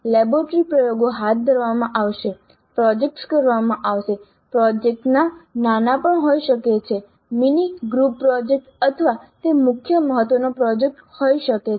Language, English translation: Gujarati, Then laboratory experiments to be conducted, projects to be done, projects could be even small, mini group, mini group projects or it can be a project of major importance